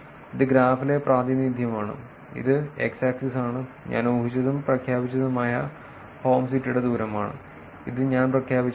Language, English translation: Malayalam, This is the representation in the graph which is x axis is the distance of inferred and declared home city which is something that I declared